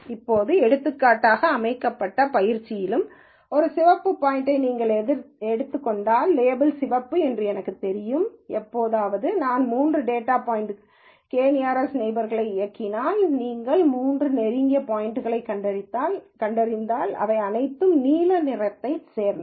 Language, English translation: Tamil, Now even in the training set for example, if you take this red point, I know the label is red; how ever, if I were to run k nearest neighbor with three data points, when you find the three closest point, they all belong to blue